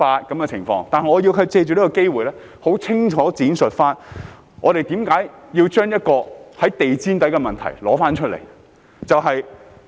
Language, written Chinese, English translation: Cantonese, 但是，我促請局長藉此機會很清楚地闡釋，為何要把一個在地毯下的問題再提出來？, However I urge the Secretary to take this opportunity to explain clearly why it is necessary to dredge up an issue that has been swept under the carpet